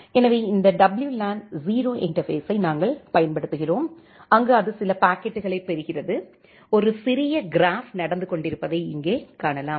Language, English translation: Tamil, So, we use this WLAN 0 interface, where it is receiving some packet; here you can see that there is a small graph which is going on